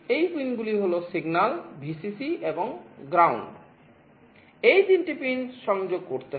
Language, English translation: Bengali, These pins are signal, Vcc and GND; these 3 pins have to be connected